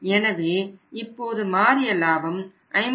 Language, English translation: Tamil, So, it means what is now the changed profit that is 53